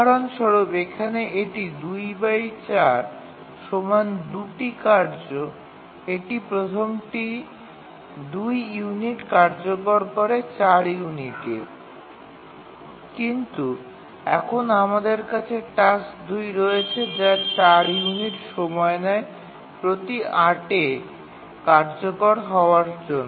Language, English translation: Bengali, The again two tasks, the first task takes 2 unit of execution every 4 units, but now we have the task 2, taking 4 units of execution time every 8